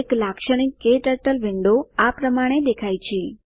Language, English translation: Gujarati, A typical KTurtle window looks like this